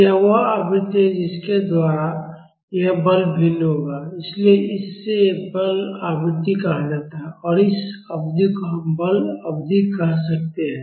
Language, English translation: Hindi, This is the frequency by which this force will vary, so it is called as forcing frequency and we can call this period as forcing period